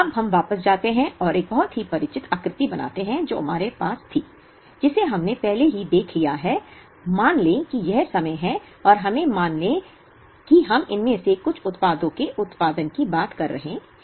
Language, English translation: Hindi, Now, let us go back and draw a very familiar figure that we had, which we have already seen, let us assume this is time and let us assume we are talking of producing some of these products